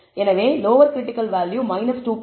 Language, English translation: Tamil, So, lower critical value is minus 2